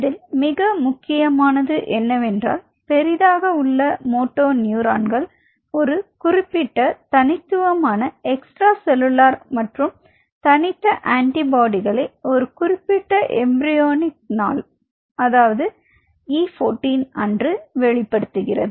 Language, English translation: Tamil, But what is important here I wanted to highlight is that, these ventral horn motoneurons these large motoneurons express that unique the unique extracellular or unique antibody at only or at specifically at around E14 embryonic day 14